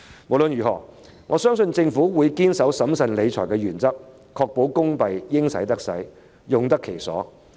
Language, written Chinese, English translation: Cantonese, 無論如何，我相信政府會堅守審慎理財的原則，確保公帑應使得使，用得其所。, Nevertheless I believe the Government will uphold the principle of managing public finances prudently and ensure the necessary and proper use of public money